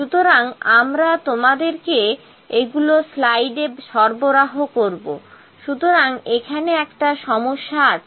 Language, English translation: Bengali, So, we will provide you this in the slides, so this is a problem here